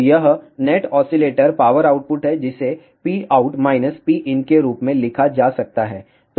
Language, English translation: Hindi, So, this is the net oscillator power output which can be written as P out minus P in